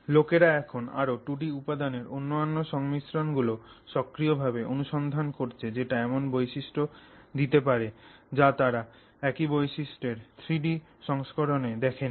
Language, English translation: Bengali, So, people are now much more actively searching other combinations of two dimensional materials which may give them properties that they have not seen in the three dimensional version of the same material